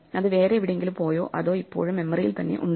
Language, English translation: Malayalam, Has it gone anywhere or is it still there in my memory, blocking space